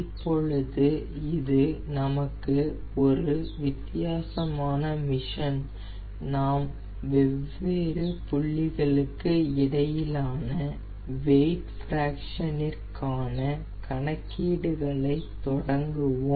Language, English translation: Tamil, so now we our this is a different type of ah mission and we will start the calculation of weight fraction between difference points